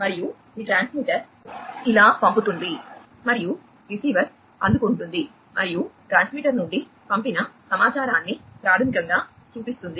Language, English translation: Telugu, And I am going to show you how this transmitter sends and the receiver receives and basically shows the sent information from the transmitter